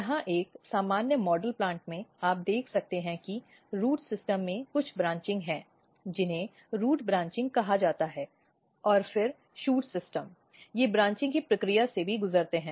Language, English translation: Hindi, If you look a typical model plant here, you can see that the root system has some branching which is we call basically root branching and then shoot system they also undergo the process of branching